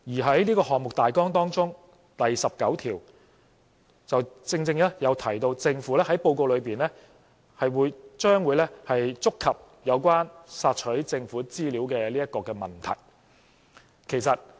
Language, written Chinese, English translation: Cantonese, 在這個項目大綱第十九條正正提到政府在報告裏，將會觸及有關"索取政府資料"的問題。, In this outline the paragraph on Article 19 precisely mentions that the Government will get to the issue of Access to Government information in the report